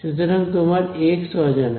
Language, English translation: Bengali, So, this is your thing x is unknown